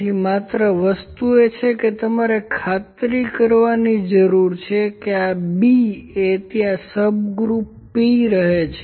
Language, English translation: Gujarati, So, only thing is that I need to make sure that this B remains P subgroup is there